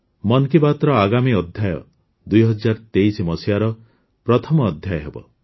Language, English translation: Odia, The next episode of 'Mann Ki Baat' will be the first episode of the year 2023